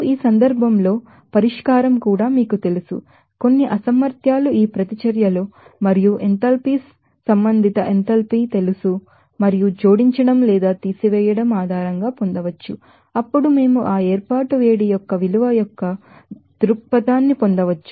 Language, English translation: Telugu, And in this case again solution can be you know, obtain based on that some inabilities are these reactions as well as you know enthalpies respective enthalpies and adding or subtracting then we can get that perspective of value of that heat of formation